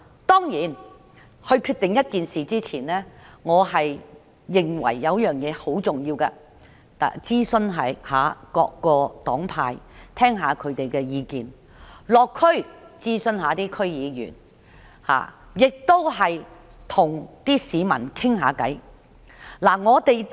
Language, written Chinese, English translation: Cantonese, 當然，政府決定做一件事前，我認為必須諮詢各個黨派，以聽取他們的意見；亦應該落區諮詢區議員，以及與市民交談一下。, Certainly before the Government decides to do something it should consult various political parties to listen to their views . Government officials should go to the districts to consult District Council members and talk to the public